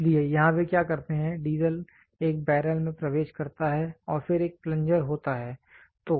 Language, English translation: Hindi, So, here what they do is the diesel enters into a barrel and then there is a plunger